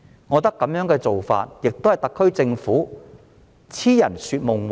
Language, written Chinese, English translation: Cantonese, 我覺得這種做法只是特區政府癡人說夢話。, I think this is only a wishful thinking of the SAR Government